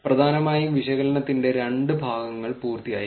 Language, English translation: Malayalam, Essentially the two parts of analysis is done